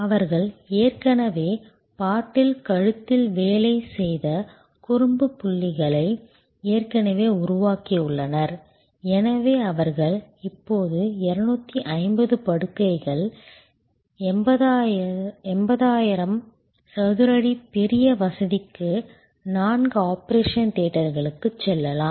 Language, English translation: Tamil, They have already worked out the naughty points that already worked out the bottle necks and therefore, they could now go to a 250 beds 80,000 square feet major facility with four operation theaters